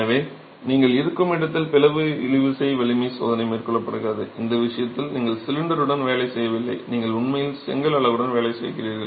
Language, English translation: Tamil, So, the split tensile strength test is carried out where you have, in this case you don't work with the cylinder, you are actually working with the brick unit as it is